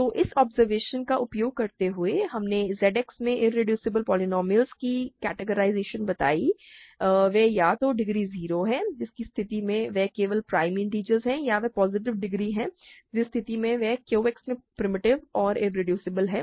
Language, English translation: Hindi, So, using this observation we have characterized irreducible polynomials in Z X they are either degree 0 in which case they are just prime integers or they are positive degree in which case they are primitive and irreducible in Q X